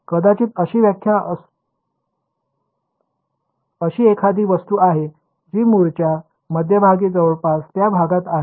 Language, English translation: Marathi, May there is an object which is centered on the origin it is approximately in that region